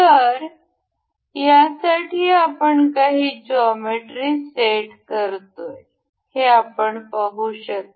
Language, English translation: Marathi, Let me just set up the geometry for this